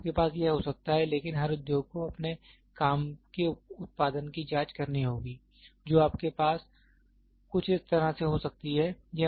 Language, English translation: Hindi, You can have this, but every industry has to check their working output with the ternary you can have something like this